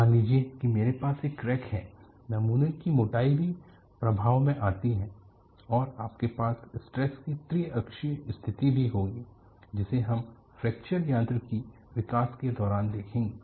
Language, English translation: Hindi, Suppose I have a crack, that thickness of the specimen also come into the effect, and you will also have triaxial state of stress which we would see in course of fracture mechanics developments